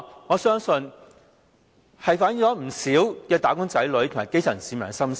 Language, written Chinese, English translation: Cantonese, 我相信這項改動，反映了不少"打工仔女"和基層市民的心聲。, To me the revision reflects the sentiment of many wage earners and grass - root citizens